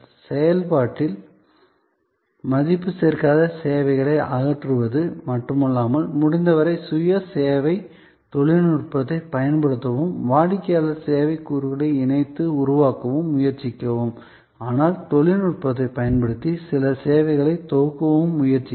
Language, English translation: Tamil, In the process try to, not only eliminate non value adding services, use as much of self service technology as possible, include customers co creation of the service elements, but try also to bundle some services using technology